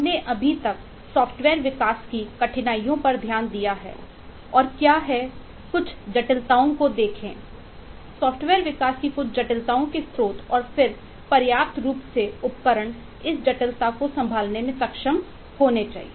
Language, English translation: Hindi, uh, we have uh so far taken a look into the difficulties of software development and what are the look at some of the complexities, sources of some of the complexities of software development, and then, in order to form adequate tools, instruments to be able to handle this complexity